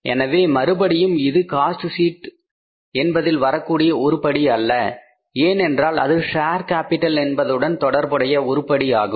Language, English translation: Tamil, So this is again not the cost sheet item because discount on shares return off is the share capital item